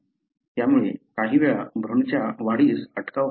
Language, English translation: Marathi, So, that could be at times, causing some embryonic growth arrest